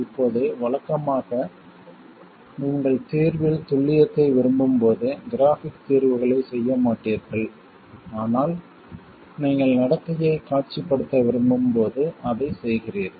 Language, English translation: Tamil, Now usually you don't do graphical solutions when you want accuracy in the solution but you do it when you want to visualize the behavior